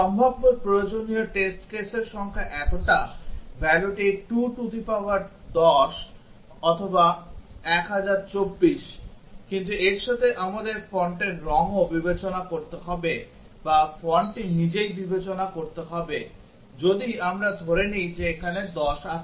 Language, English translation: Bengali, The number of possible test cases required just for this much, these values is 210 or 1024, but with that we have to also consider the font colour or to consider the font itself, if we assume that there are 10 here